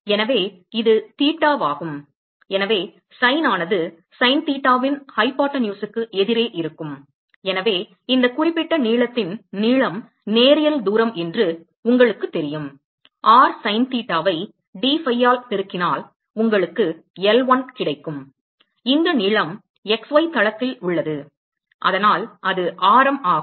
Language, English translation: Tamil, So, this is theta and so sin will be opposite the hypotenuses sin theta and so the length of this particular you know linear distance is r sin theta multiplied by dphi will give you L1 and this length is in the x y plane and so that is radius multiplied by the angle in that plain which is dtheta